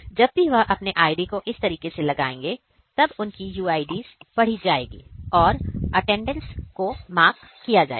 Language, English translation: Hindi, And whenever they will place this card like this so, their UIDs will be read and their attendance will be marked